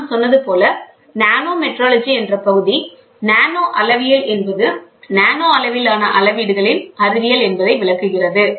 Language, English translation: Tamil, As I told, nanometrology is the talk of the term, nanometrology is the science of measurement at nanoscale levels